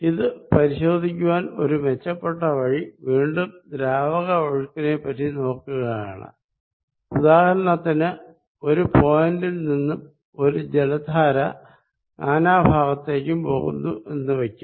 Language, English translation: Malayalam, If better way of looking at it is would be a again in a fluid flow, supposed there is a point from which or a fountain water is going all around